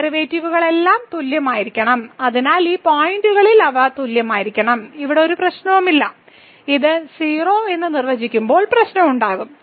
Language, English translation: Malayalam, So, all these derivatives, so they must be equal at these points where there is no problem the problem will be when this is defined as 0